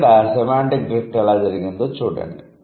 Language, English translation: Telugu, But see now how the semantic drift has happened